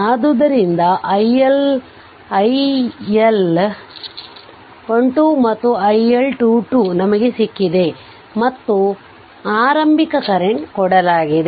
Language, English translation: Kannada, That is why that iL1 to and iL2 we have obtained and initial current is given right